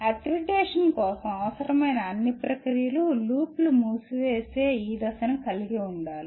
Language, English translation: Telugu, All the processes required for accreditation need to have this step of closing the loop